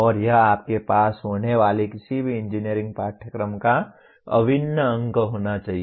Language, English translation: Hindi, And this should be integral part of any engineering course that you have